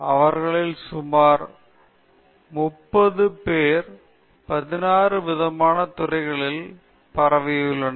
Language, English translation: Tamil, There are about 30 of them, spread across about 16 department in the institute